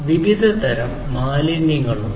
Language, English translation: Malayalam, So, there are different types of wastes